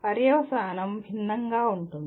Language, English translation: Telugu, The consequence are different